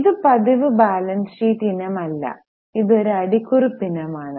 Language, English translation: Malayalam, This is not a balance sheet item, it just comes as a footnote